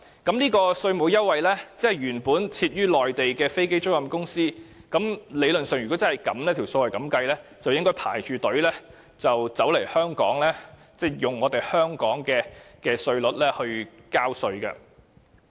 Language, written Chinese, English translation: Cantonese, 對於這個稅務優惠，如果理論上方程式是如此計算時，相信一些原本在內地設立的飛機租賃公司就會排隊來香港，以香港的稅率交稅了。, Theoretically the computation of the tax concession under this formula will induce many aircraft leasing companies set up in the Mainland to queue up for entry into Hong Kong so that they can pay profits taxes according to Hong Kongs tax rate